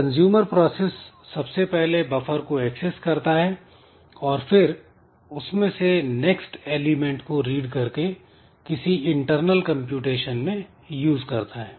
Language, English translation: Hindi, So, first the consumer process it first needs to access the buffer, read it the next element from the buffer and then use it in some internal computation